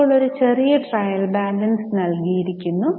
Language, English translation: Malayalam, Now, a small trial balance is given